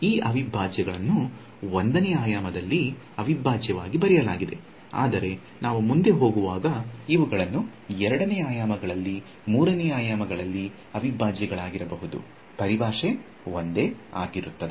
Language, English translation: Kannada, These integrals have been written as an integral in 1 dimension, but as we go further these can be integrals in 2 dimensions, 3 dimensions; the terminology will be the same